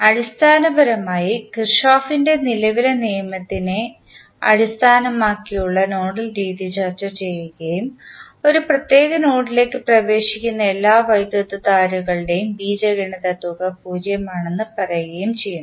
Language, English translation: Malayalam, We discussed that the nodal method that is basically based on Kirchhoff’s current law and says that the algebraic sum of all currents entering a particular node is zero